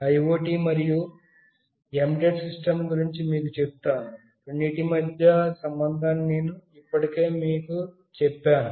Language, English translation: Telugu, Let me tell you about IoT and embedded system, I have already told you the relation between the two